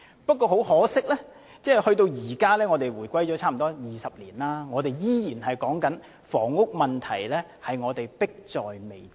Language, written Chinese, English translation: Cantonese, 不過，很可惜，回歸至今已差不多20年，我們依然說房屋問題迫在眉睫。, Regrettably however even though some 20 years have passed following the reunification we are still saying that housing is a pressing issue